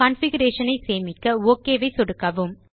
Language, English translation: Tamil, Click OK to save your configuration